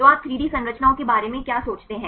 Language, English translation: Hindi, So, what do you think about the 3D structures